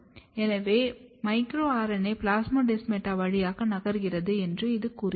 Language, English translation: Tamil, This suggest that micro RNA is actually moving through the plasmodesmata